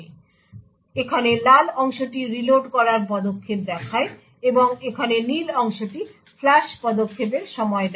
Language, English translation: Bengali, So the red part over here shows the reload step, and the blue part over here shows the time for the flush step